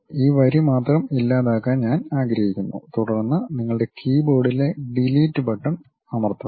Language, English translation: Malayalam, I would like to delete only this line, then I click that press Delete button on your keyboard